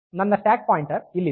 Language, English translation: Kannada, So, if the stack pointer is there